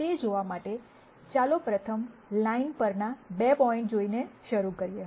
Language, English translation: Gujarati, To see that, let us first start by looking at 2 points on the line